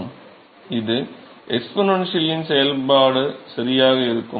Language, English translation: Tamil, It will be exponential function right